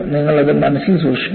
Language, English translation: Malayalam, You have to keep that in mind